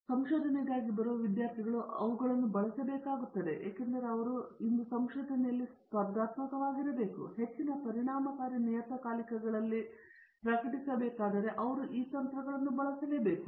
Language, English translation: Kannada, So, therefore, the students who come for research, but they have to use them because if they have to be competitive in research today and publish in very high impact journals or impact is not a correct thing, in high journals then they have to be using these techniques